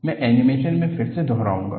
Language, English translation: Hindi, I will repeat the animation again